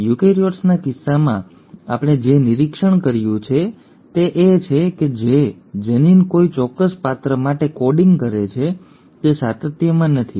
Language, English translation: Gujarati, In case of eukaryotes what we observed is that the gene which is coding for a particular character, is not in continuity